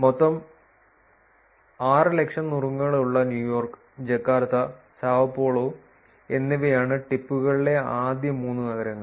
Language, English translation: Malayalam, The top 3 cities in the number tips are New York, Jakarta and Sao Paulo with the total of 600,000 tips